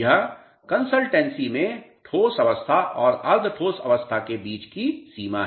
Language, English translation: Hindi, The boundary between the solid and semi solid states of the consistency